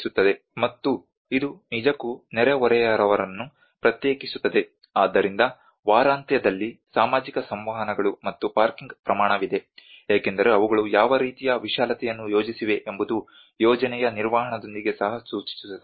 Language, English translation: Kannada, And it actually separates the neighbours, so there is the social interactions for weekend and the scale of parking because the kind of vastness they are projected it also has to implicate with the maintenance of the project